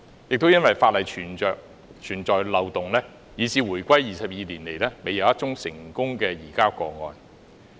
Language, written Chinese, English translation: Cantonese, 由於法例存在漏洞，以致回歸22年來，未有一宗成功移交個案。, Given the loopholes in law there has not been any successful surrender over the past 22 years since the reunification